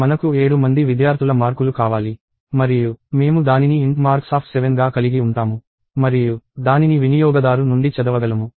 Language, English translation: Telugu, Let us say I want marks of 7 students and I could have it as int marks of 7 and read it from the user